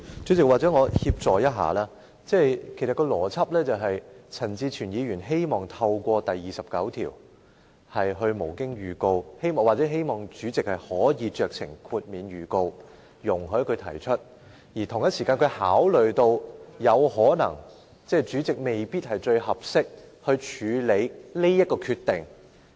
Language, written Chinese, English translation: Cantonese, 主席，或許讓我協助一下，其實有關邏輯是，陳志全議員希望透過《議事規則》第29條無經預告提出修正案，或希望主席可酌情免卻預告容許他提出修正案，而他同時考慮到主席未必是最合適處理這個決定的人。, President perhaps allow me to help . In fact the logic here is that Mr CHAN Chi - chuen wishes to move an amendment under RoP 29 without notice or wishes that the President can in his discretion dispense with such notice while he at the same time considers that the President is probably not the person most suitable for handling this decision